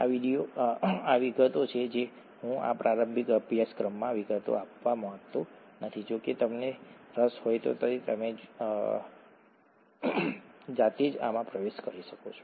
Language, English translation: Gujarati, These are details, I don’t want to get into details in this introductory course, however if you’re interested you can get into these by yourself